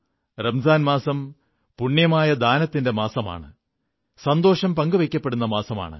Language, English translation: Malayalam, Ramzan is a month of charity, and sharing joy